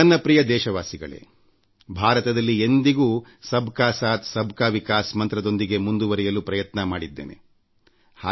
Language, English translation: Kannada, My dear countrymen, India has always advanced on the path of progress in the spirit of Sabka Saath, Sabka Vikas… inclusive development for all